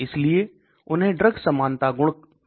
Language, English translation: Hindi, So they are called drug likeness property